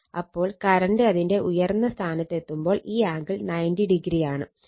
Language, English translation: Malayalam, So, when current is when current is reaching its peak; that means, this angle is 90 degree